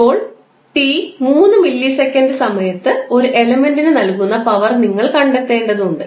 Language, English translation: Malayalam, now, you need to find out the power delivered to an element at time t is equal to 3 milliseconds